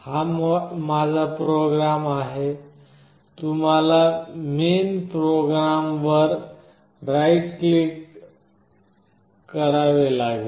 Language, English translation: Marathi, This is my program you have to right click here on main program